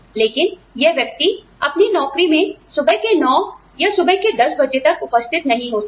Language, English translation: Hindi, But, this person cannot report to his or her job, till about 9 in the morning, or 10 in the morning